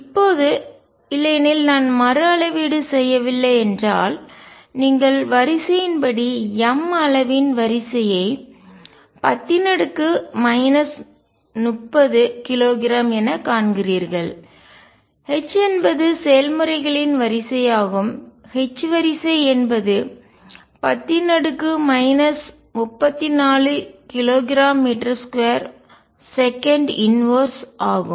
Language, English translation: Tamil, Now, otherwise if I do not rescale you see the order of magnitude m as of the order of 10 raise to minus 30 kilograms, h is of the order of h processes of the order of 10 raise to power minus 34 k g meter square second inverse